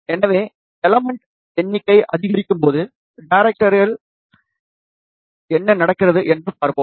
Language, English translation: Tamil, So, let us see what happens to the directivity as number of elements increase